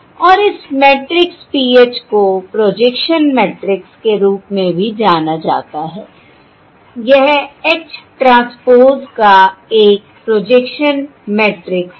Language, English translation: Hindi, and this matrix PH is known as the projection matrix of H